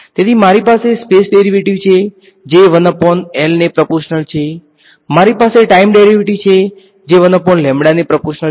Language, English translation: Gujarati, So, I have a space derivative which is proportional to 1 by L, I have a time derivative which is proportional to 1 by lambda ok